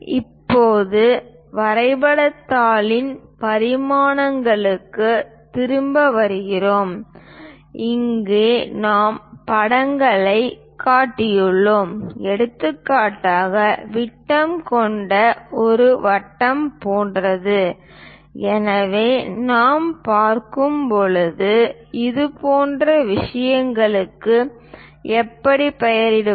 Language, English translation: Tamil, Now, coming back to the dimensions of the drawing sheet, where we have shown the pictures for example, something like a circle with diameter and so, on so, things how to name such kind of things we are going to look at in this section